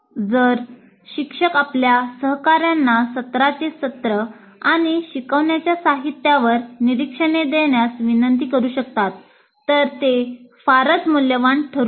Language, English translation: Marathi, If the instructor can request a colleague to give observations on the contract of the sessions and instructional material it can be very valuable